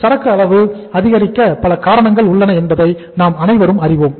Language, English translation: Tamil, We all know that there are many reasons why inventory level increases